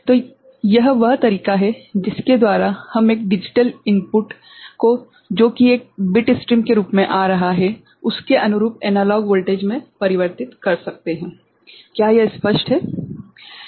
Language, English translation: Hindi, So, this is the way we can convert a digital input coming as a bit stream to a corresponding analog voltage is it clear, right